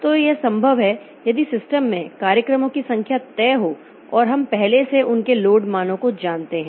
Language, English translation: Hindi, So, this is possible if the number of programs in the system is fixed and we know there load values previously